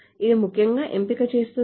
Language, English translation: Telugu, Does it do the select first